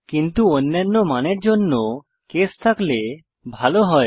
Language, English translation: Bengali, But it would be better if we could have a case for all other values